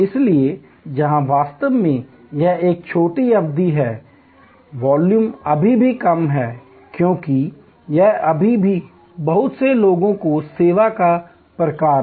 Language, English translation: Hindi, So, where actually it is a short duration, volume is still low, because it is still lot of people to people type of service